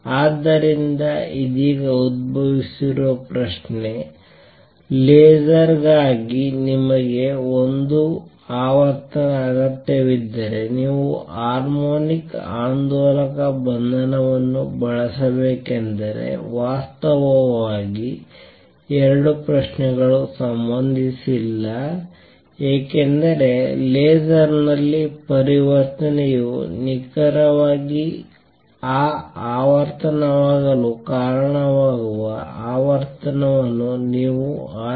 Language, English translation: Kannada, So, a question that has arisen just now is question; if you need single frequency for laser should you use harmonic oscillator confinement actually the 2 questions are not related because in a laser, you choose the frequency that causes the transition to be precisely that frequency